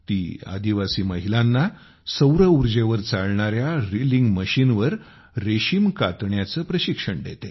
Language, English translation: Marathi, She trains tribal women to spin silk on a solarpowered reeling machine